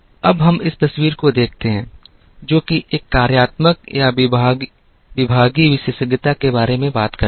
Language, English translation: Hindi, Now, let us look at this picture which talks about, what is called a functional or departmental specialization